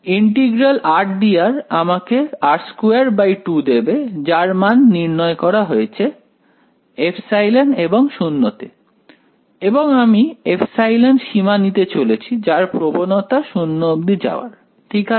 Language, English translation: Bengali, Integral r d r will give me r squared by 2 evaluated epsilon and 0; and I am going to take the limit epsilon tending to 0 eventually right